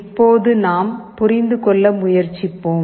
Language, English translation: Tamil, Now, let us try to understand